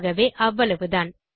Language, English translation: Tamil, So thats it